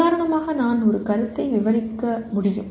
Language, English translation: Tamil, For example I can describe a concept